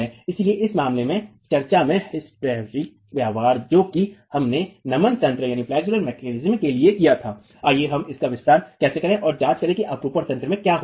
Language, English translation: Hindi, So in this case, the hysteric behavior in the discussion that we had for the flexible mechanism, let's extend it and examine what happens in the shear mechanism